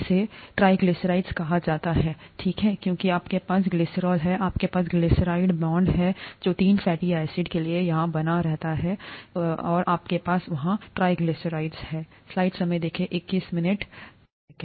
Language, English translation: Hindi, It is called a triglyceride, okay because you have you have glycerol, you have a glyceride bonds being formed here for three fatty acids and you have a triglyceride there